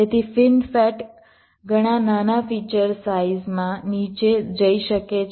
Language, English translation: Gujarati, so fin fet can go down to much small of feature sizes